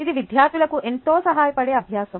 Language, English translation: Telugu, its a exercise that is very helpful to the students